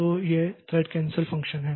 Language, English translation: Hindi, So, these are the thread cancel function